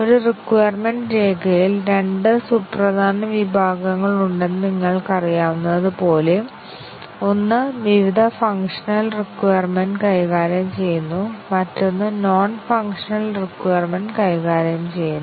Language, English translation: Malayalam, So as you might already know that in a requirements document, there are two important sections; one dealing with various functional requirements, and the other dealing with the non functional requirements